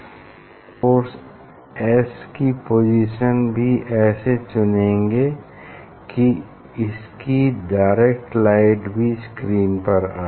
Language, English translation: Hindi, we will get reflected light as if this is coming from S 1 as well as the position of the source is such that we will get the direct light also from that source